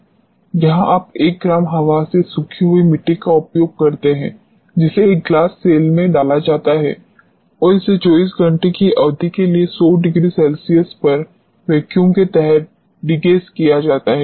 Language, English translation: Hindi, This is where you use one gram of the air dried soil is poured in a glass cell and it is degassed under vacuum at 100 degree centigrade for a period of 24 hours